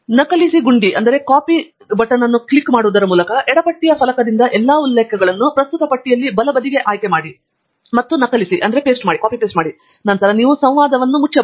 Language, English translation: Kannada, Select and copy all the references from the left hand side pane to the right hand side in the current list by clicking the Copy button, and then, you can close the dialogue